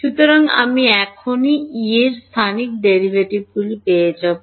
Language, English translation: Bengali, So, I will get the spatial derivatives of E now right